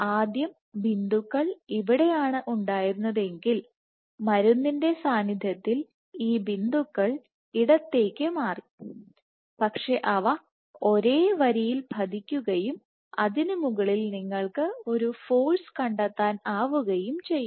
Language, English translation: Malayalam, If earlier points were up here in the presence of drug these points shifted to the left, but they fell on the same line and on top of that you could find out a force